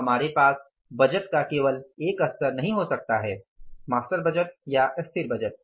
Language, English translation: Hindi, We cannot have only one level of budgeting, master budget or static budget